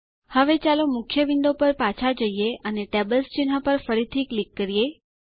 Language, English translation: Gujarati, Now, let us go back to the main window and click on the Tables Icon again